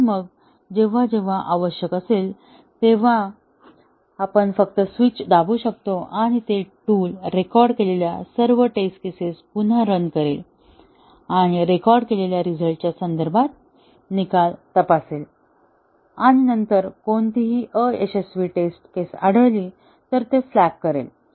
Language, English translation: Marathi, And then, whenever needed we can just press the switch and it will, the tool will rerun all the test cases which were recorded and check the results with respect to the recorded result and then, flag if any failed test cases are there